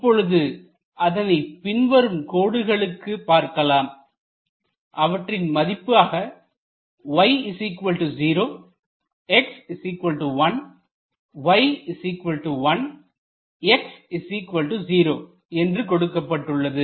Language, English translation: Tamil, What are the lines y equal to 0, x equal to 1, then y equal to 1 and x equal to 0